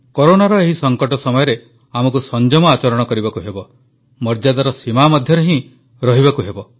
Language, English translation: Odia, during this crisisladen period of Corona, we have to exercise patience, observe restraint